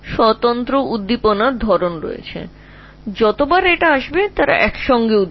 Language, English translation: Bengali, So, every time this come they will together